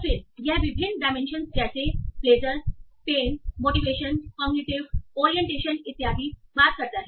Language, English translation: Hindi, And then in the various dimensions like that you talk about pleasure, pain, virtue, wise, motivation, cognitive orientation, etc